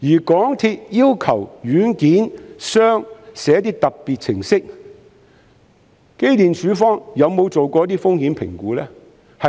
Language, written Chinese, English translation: Cantonese, 港鐵公司要求軟件商撰寫特別程式，機電工程署曾否做過一些風險評估呢？, When the MTR Corporation Limited MTRCL asked the software developer to write some special programmes had EMSD conducted any risk assessment?